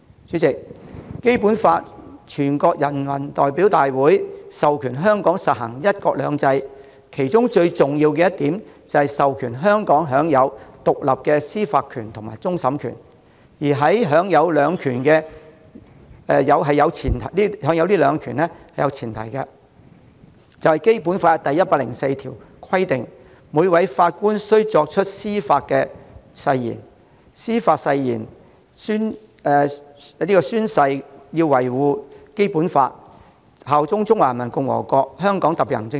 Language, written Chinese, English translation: Cantonese, 主席，全國人民代表大會制定的《基本法》，規定香港實行"一國兩制"，最重要的是，香港享有獨立的司法權和終審權，而享有這兩種權力的前提是，根據《基本法》第一百零四條，每位法官須依法宣誓維護《基本法》，效忠中華人民共和國香港特別行政區。, President the Basic Law enacted by the National Peoples Congress stipulates that one country two systems shall be implemented in Hong Kong . Most importantly Hong Kong enjoys independent judicial power including that of final adjudication . The premise of these two powers is that according to Article 104 of the Basic Law every judge must when assuming office swear to uphold the Basic Law and swear allegiance to the Hong Kong Special Administrative Region of the Peoples Republic of China